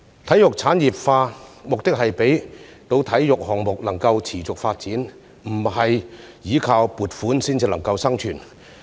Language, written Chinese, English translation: Cantonese, 體育事業產業化的目的是讓體育項目能夠持續發展，不用依靠撥款生存。, The proposed industrialization of sports is meant to make sports development sustainable without relying solely on funding